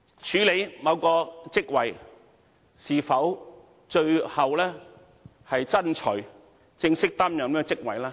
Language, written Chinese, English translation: Cantonese, 署任某個職位是否最後是正式擔任該職位呢？, Should a person be promoted to take a substantive post after taking an acting appointment?